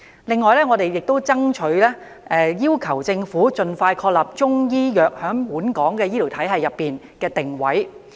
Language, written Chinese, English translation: Cantonese, 此外，我們亦爭取要求政府盡快確立中醫藥在本港醫療體系的定位。, We have also been fighting for a formal place of Chinese medicine in Hong Kongs healthcare system as soon as possible